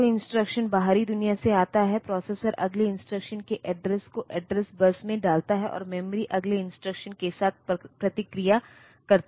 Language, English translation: Hindi, So, the instruction which comes from the outside world by so, the processor puts the address of next instruction on to the address bus, and the memory responds with the next instruction